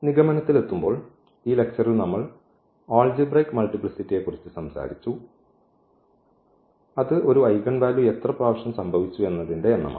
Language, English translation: Malayalam, Coming to the conclusion so, in this lecture we have talked about the algebraic multiplicity and that was nothing but the number of occurrence of an eigenvalue